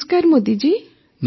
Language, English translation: Odia, Namastey Modi ji